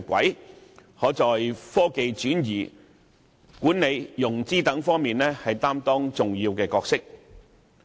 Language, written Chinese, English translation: Cantonese, 因此，香港可在科技轉移、管理融資等方面擔當重要角色。, So Hong Kong can play an important role in various areas such as technology transfer management and financing